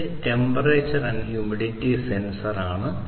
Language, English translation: Malayalam, So, this is a temperature and humidity sensor